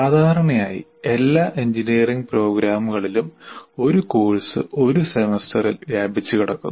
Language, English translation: Malayalam, That will be quite different from normally in all engineering programs, a course is spread over one semester